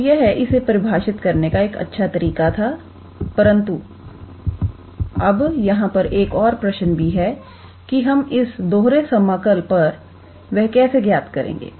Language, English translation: Hindi, So, it is how to say a nice way to define, but there is another question here that how do we evaluate the double integral